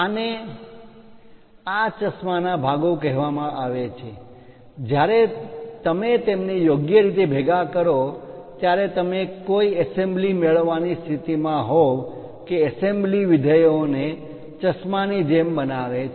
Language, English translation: Gujarati, These are called parts parts of this spectacle, when you club them in a proper way you will be in a position to get an assembly that assembly makes the functionality like spectacles